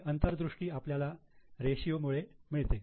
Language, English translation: Marathi, This is the insight which ratios give